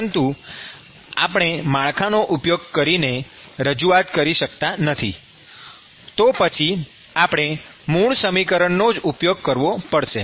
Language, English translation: Gujarati, But if we cannot represent using network then we have to deal with the original equation itself